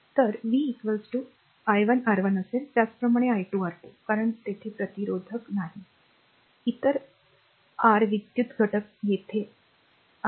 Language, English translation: Marathi, So, v will be is equal to i 1 R 1, similarly is equal to i 2 R 2, because there is no resistor, no, other ah your electrical element is here and here